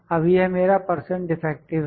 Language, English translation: Hindi, Now this is my percent defective